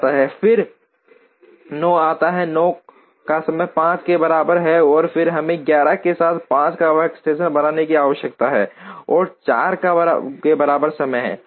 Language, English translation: Hindi, Then comes 9, 9 has time equal to 5 and then we need to create a 5th workstation with 11 and time equals to 4